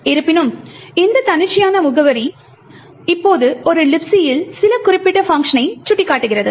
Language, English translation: Tamil, However, this arbitrary address is now pointing to some particular function in a LibC